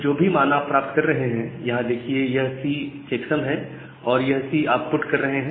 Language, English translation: Hindi, So, whatever value you are getting, so this C this is the checksum that C you are putting here